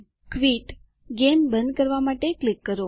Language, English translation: Gujarati, Quit – Click to quit the game